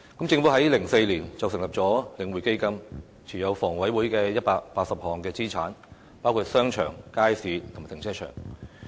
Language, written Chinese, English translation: Cantonese, 政府在2004年成立領匯房地產投資信託基金，讓領匯持有房委會180項資產，包括商場、街市和停車場。, In 2004 the Government set up The Link Real Estate Investment Trust The Link and divested to it 180 assets of HA including shopping malls markets and car parks